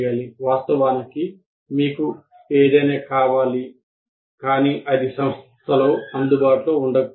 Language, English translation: Telugu, Of course, you may want something but it may or may not be available by the institute